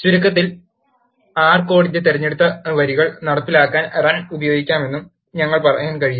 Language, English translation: Malayalam, In summary, we can say that, Run can be used to execute the selected lines of R code